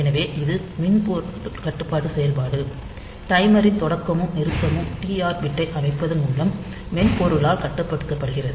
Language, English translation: Tamil, So, it is soft software controlled operation, the start and stop of the timer will be controlled by the software by setting the TR bit